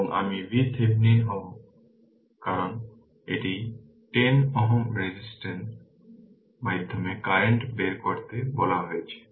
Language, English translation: Bengali, And I will be V Thevenin because it has been asked to find out current through 10 ohm resistance 10 ohm resistance